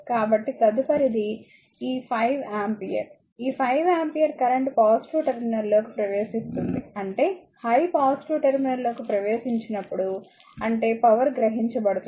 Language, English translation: Telugu, So, next is this 5 ampere, this 5 ampere current entering to the positive terminal right; that means, as I entering into the positive terminal means it is power absorbed